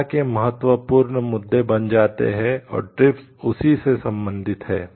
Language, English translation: Hindi, Becomes important issues discussion and TRIPS is related to that